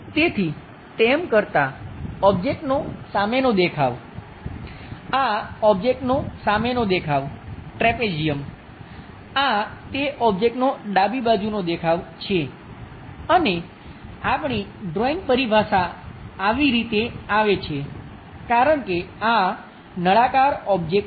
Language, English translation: Gujarati, So, doing that, the front view object, this is the front view object, trapezium; this is the left side view of that object and our drawing terminology goes in this way because this is cylindrical object